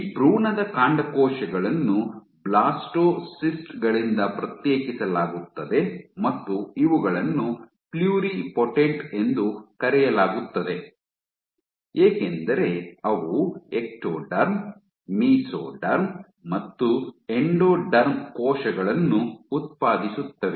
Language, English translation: Kannada, So, these embryonic stem cells, these they are isolated from blastocysts and these guys are called pluripotent because they can generate cells of the Ectoderm, Mesoderm and Endoderm